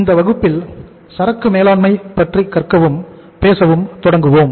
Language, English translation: Tamil, So in this class we will start learning and talking about the inventory management